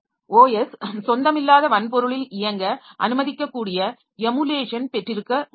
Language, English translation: Tamil, We can have emulation that can allow an OS to run on a non native hardware